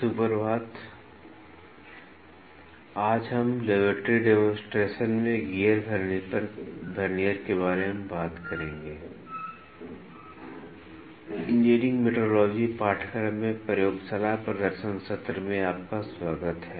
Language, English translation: Hindi, Good morning welcome back to the Laboratory Demonstration session, in the course Engineering Metrology